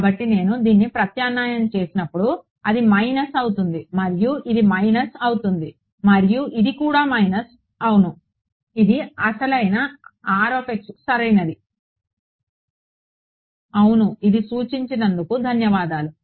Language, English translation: Telugu, So, when I substitute this, I right this will become minus and this will become minus yeah and this also is a minus yeah that was the original R x right yeah thanks for pointing that